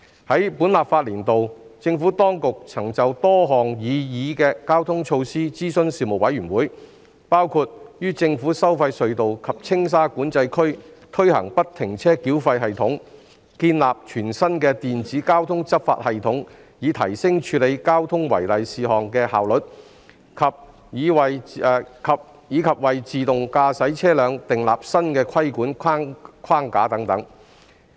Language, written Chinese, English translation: Cantonese, 在本立法年度，政府當局曾就多項擬議的交通措施諮詢事務委員會，包括於政府收費隧道及青沙管制區推行不停車繳費系統、建立全新的電子交通執法系統以提升處理交通違例事項的效率，以及為自動駕駛車輛訂立新的規管框架等。, During this legislative session the Administration consulted the Panel on a number of proposed traffic measures including the implementation of a free - flow tolling system at government tolled tunnels and the Tsing Sha Control Area the implementation of a brand - new Traffic e - Enforcement System for enhancing enforcement efficiency against traffic contraventions and the establishment of a new regulatory framework for autonomous vehicles